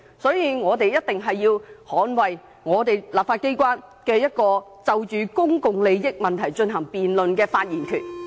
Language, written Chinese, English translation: Cantonese, 所以，我們一定要捍衞立法機關就公共利益問題進行辯論的發言權。, Therefore we must safeguard the powers of the legislature to speak and debate on any issue concerning public interests